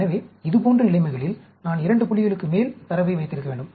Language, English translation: Tamil, So, in such situations, I need to have data at more than two points